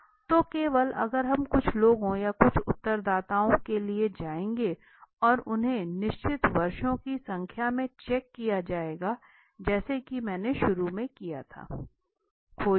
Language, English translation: Hindi, So only if few people or few respondents would be taken and they would be checked across certain number of years right, so as I started with